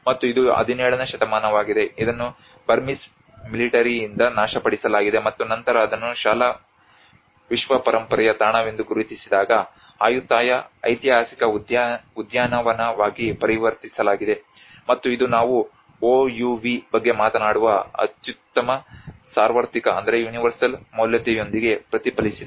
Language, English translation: Kannada, And this has been 17th century it has been destroyed by the Burmese military and then later on it has been converted as a Ayutthaya historical park when it has been recognized as in a school world heritage site, and this is where it has reflected with its outstanding universal value where we talk about OUV